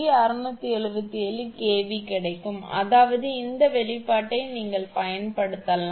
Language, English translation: Tamil, 677 kV that means this expression this expression you can use